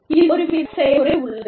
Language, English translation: Tamil, There is, some kind of process involved